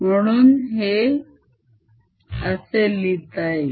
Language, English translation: Marathi, let us calculate this